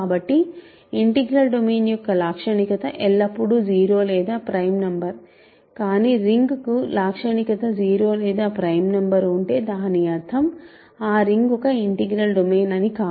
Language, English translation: Telugu, So, characteristic of an integral domain is always either 0 or a prime number, but if a ring has characteristic 0 or a prime number does not mean that ring is an integral domain ok